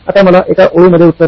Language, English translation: Marathi, Now give me a single line answer